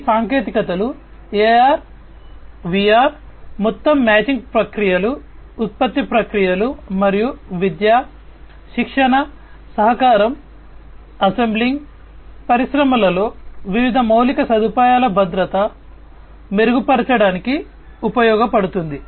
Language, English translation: Telugu, These technologies AR VR can be used to improve the overall machining processes, production processes, and so, on in education, training, collaboration, assembly line, safety security of different infrastructure in the industries